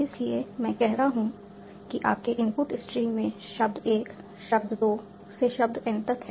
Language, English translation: Hindi, So, so what I am saying, you have word 1, word 2, up to word n in your input string